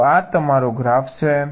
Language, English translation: Gujarati, so this is your graph